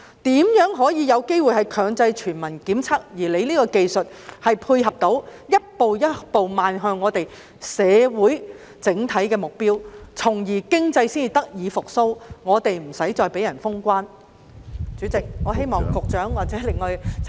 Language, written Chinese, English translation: Cantonese, 如何可以有機會強制全民檢測，而局長現時這項技術可以如何配合，以逐步邁向社會整體的目標，從而令經濟得以復蘇，其他地方不會再對香港封關？, How can universal compulsory testing be made possible and how can the Secretary complement this technology to gradually moving towards the goal of the community at large so that the economy can recover and other places will no longer close their doors to visitors from Hong Kong?